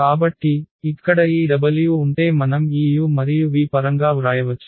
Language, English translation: Telugu, That if this w we can write down in terms of this u and v if